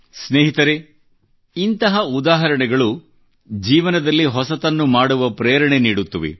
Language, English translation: Kannada, Friends, such examples become the inspiration to do something new in life